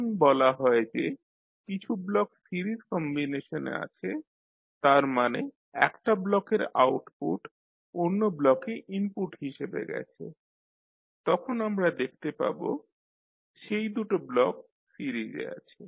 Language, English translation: Bengali, Now, when you say that the blocks are in series combination it means that the blocks, the output of one block will go to other block as an input then we will see that these two blocks are in series